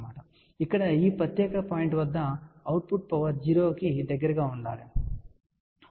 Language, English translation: Telugu, Now, over here we want the output power to be close to 0 at this particular point here, ok